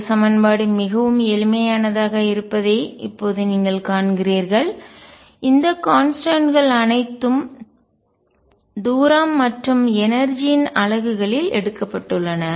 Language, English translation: Tamil, Now you see this equation looks very simple all these constants have been taken into the units of distance and energy